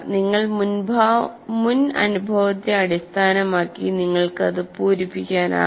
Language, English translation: Malayalam, So you will be able to, based on your prior experience, you will be able to fill in that gap